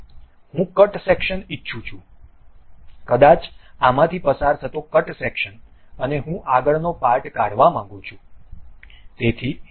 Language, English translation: Gujarati, Now, I would like to have a cut section maybe a cut section passing through this and I would like to remove the frontal portion